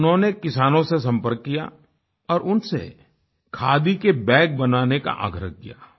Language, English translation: Hindi, He contacted farmers and urged them to craft khadi bags